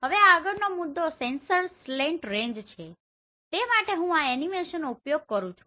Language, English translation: Gujarati, Now the next point is sensor slant range for that I would like to use this animation